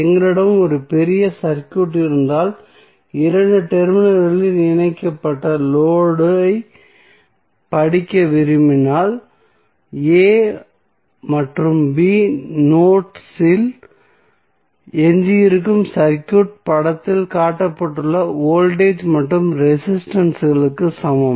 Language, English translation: Tamil, So, what we discussed that if we have a fairly large circuit and we want to study the load at connected across two terminals then the circuit which is left of the nodes a and b can be approximated rather can be equal with the voltage and resistances shown in the figure